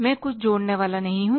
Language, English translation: Hindi, I will not add anything